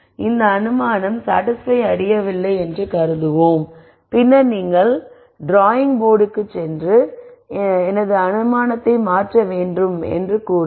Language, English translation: Tamil, So, let us assume in this case that this assumption is not satisfied then you go back to the drawing board and then say I have to change my assumption